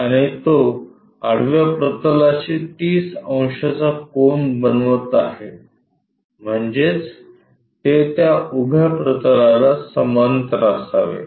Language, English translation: Marathi, And, it is going to make 30 degrees to horizontal plane; that means, it and is supposed to be parallel to that vertical plane